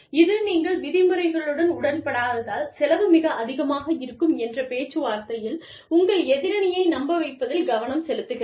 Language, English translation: Tamil, Which focuses on, convincing your counterpart, in negotiations, that the cost of disagreeing with you, with your terms, would be very high